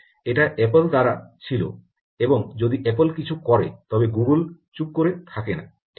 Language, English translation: Bengali, this was by apple, and if apple does something, google is not going to keep quiet right